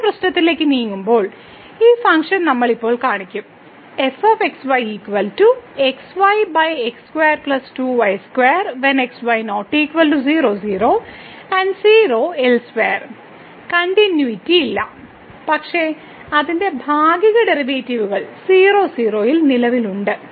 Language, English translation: Malayalam, Moving to another problem, we have a now we will show that this function is not continuous, but its partial derivatives exists at